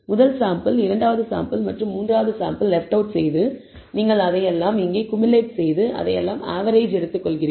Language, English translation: Tamil, When the first sample, second sample and third sample was left out that you are cumulating it here and taking the average of all that